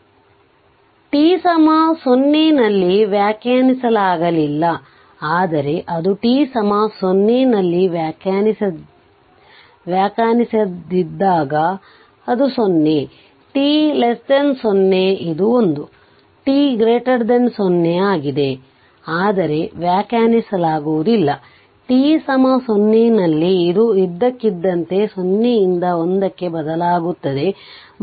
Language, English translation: Kannada, So, so it is , but it one thing is there it is undefined at t is equal to 0, but when it is it is undefined at t is equal to 0 it is less than 0 t less than 0 it is 0 t greater than 0 is1, but is undefined at t is equal to 0 right where it changes suddenly from 0 to1